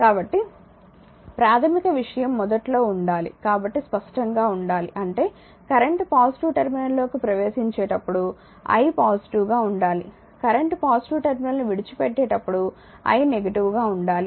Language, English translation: Telugu, So, basic thing should be initially it should be clear right so; that means, when current entering to the positive terminal i should be positive, when current leaving the your positive terminal i should be negative